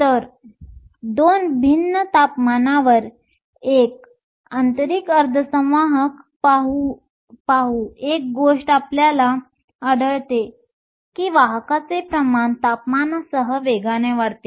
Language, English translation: Marathi, So, by looking at an intrinsic semiconductor at 2 different temperatures, one thing we find is that the carrier concentration increases exponentially with temperature